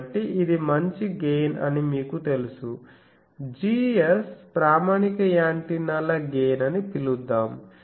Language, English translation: Telugu, So, you know it is gain well let us call that Gs is the standard antennas gain